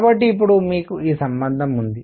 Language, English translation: Telugu, So now you have therefore, that this relationship